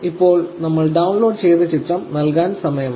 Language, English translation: Malayalam, Now, it is time that we give it image that we downloaded